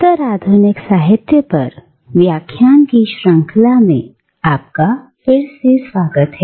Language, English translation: Hindi, Welcome again to this series of lectures on postcolonial literature